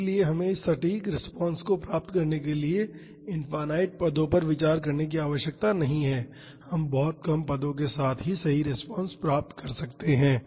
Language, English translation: Hindi, So, we need not consider infinite number of terms to get this accurate response we can get the correct response with very few terms itself